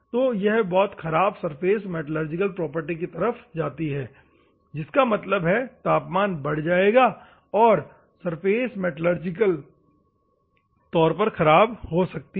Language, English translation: Hindi, So, this leads to the bad surface metallurgical properties; that means, that temperature will go high and the surface may metallurgically damage